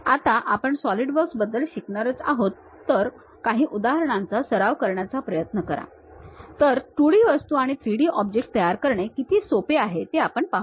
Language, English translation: Marathi, When we are going to learn about Solidworks try to practice couple of examples, we will see how easy it is to really construct 2D objects and 3D objects